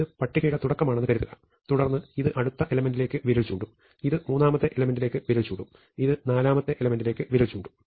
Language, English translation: Malayalam, So, supposing this is the beginning of the list, then this will point to the next element, this will point to the third element, this will point to the fourth element and so on